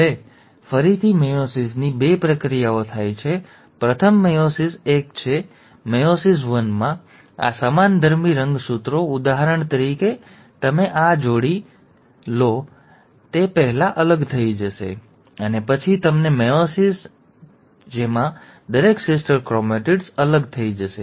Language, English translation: Gujarati, Now, so again meiosis has two processes; first is meiosis one; in meiosis one, these homologous chromosomes, for example you take this pair and this pair, they will first get separated and then you will have meiosis two, in which each of the sister chromatids will get separated